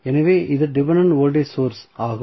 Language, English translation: Tamil, So, this is dependent voltage source